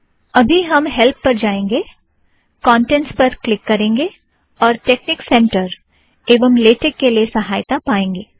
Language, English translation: Hindi, For now lets go to help, click the Contents, can get help on texnic center and latex